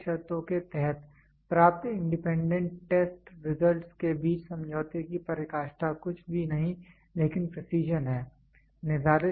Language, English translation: Hindi, The closeness of agreement between independent test results obtained under stipulated conditions is nothing, but precision